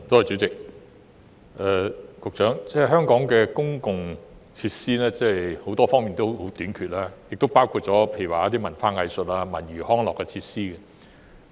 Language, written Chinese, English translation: Cantonese, 主席，香港各類公共設施都十分短缺，包括文化藝術及文娛康樂設施。, President all public facilities in Hong Kong are in serious shortage including those relating to culture arts and recreation